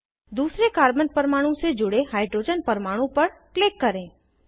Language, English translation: Hindi, Click on the hydrogen atom attached to the second carbon atom